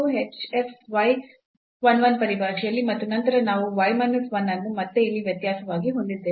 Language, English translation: Kannada, So, the f x at 1 1 x minus 1 so, this difference again in terms of h f y 1 1 and then we have y minus 1 again the difference here